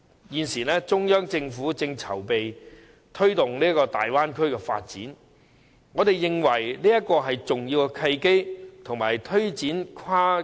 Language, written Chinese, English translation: Cantonese, 現時，中央政府正籌備推動粵港澳大灣區發展，我們認為這是推展跨境安老的重要契機。, At present the Central Government is preparing to promote the development of the Guangdong - Hong Kong - Macao Bay Area . We think this is an important opportunity for taking forward cross - boundary elderly care